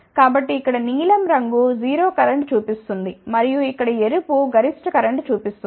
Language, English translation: Telugu, So, blue colour here shows 0 current and red here shows maximum current